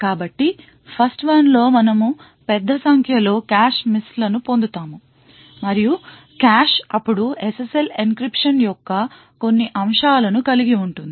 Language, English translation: Telugu, So, in the 1st one we will obtain a large number of cache misses and the cache would then contain some aspects of the SSL encryption